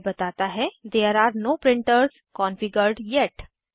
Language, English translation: Hindi, It says There are no printers configured yet